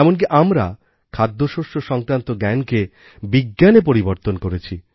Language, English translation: Bengali, We have even converted the knowledge about food into a science